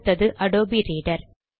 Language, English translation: Tamil, So we close the Adobe Reader